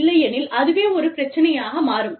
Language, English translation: Tamil, And, that can become a problem